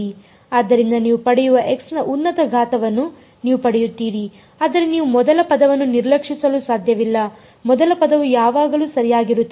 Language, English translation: Kannada, So, you will higher powers of x you will get, but the point is that you cannot ignore the first term; the first term will always be there right